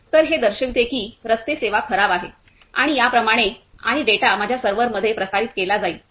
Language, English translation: Marathi, So, this will show the about the road service is bad and so on and the data will be transmitted into my server